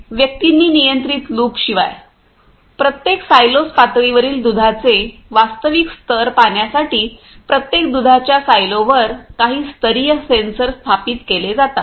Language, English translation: Marathi, Apart from individuals set controls loops, there are certain level sensors are installs on each and every milk silo to see the actuals levels of milk in each silos the levels